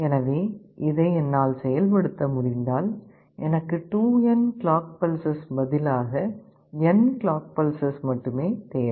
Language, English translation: Tamil, So, if I can implement this I need only n clock pulses and not 2n clock pulses